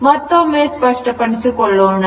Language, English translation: Kannada, Now, again let me clear it